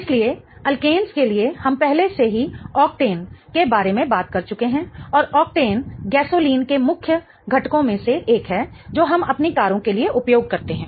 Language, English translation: Hindi, So, for alkanes, we have already talked about octane and how octane is one of the main components of gasoline that we use for our cars